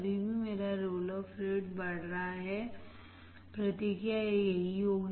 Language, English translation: Hindi, Still my roll off rate is increasing, response will be this